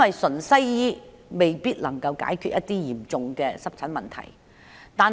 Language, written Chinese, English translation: Cantonese, 純西醫未必能夠解決嚴重的濕疹問題。, Western medicine alone may not be able to cure severe eczema